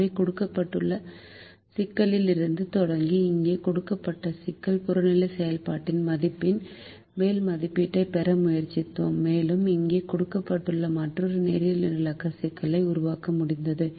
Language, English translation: Tamil, so, starting from the given problem, starting from the given problem which is here, we tried to get an upper estimate of the objective function value and we ended up creating another linear programming problem, which is given here